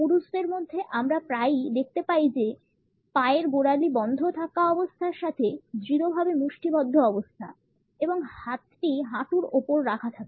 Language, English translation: Bengali, Amongst men we find that the ankle lock is often combined with clenched fists; which are resting on the knees